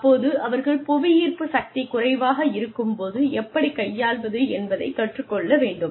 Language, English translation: Tamil, So they need to learn, how to deal with less gravity